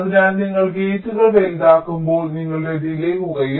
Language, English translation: Malayalam, so as you make the gates larger, your delays will become less